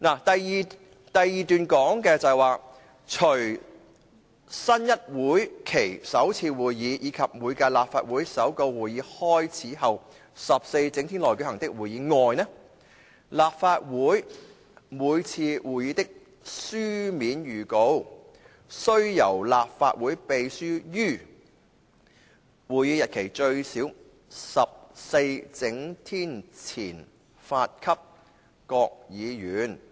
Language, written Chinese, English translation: Cantonese, 第142條是："除新一會期首次會議，以及每屆立法會首個會期開始後14整天內舉行的會議外，立法會每次會議的書面預告，須由立法會秘書於會議日期最少14整天前發給各議員"。, The existing RoP 142 reads Written notice of every meeting of the Council other than the first meeting of a new session and meetings held within 14 clear days of the commencement of the first session of a term of the Council shall be given by the Clerk to Members at least 14 clear days before the day of the meeting